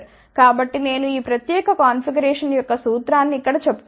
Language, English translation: Telugu, So, I am just telling the principle of this particular configuration here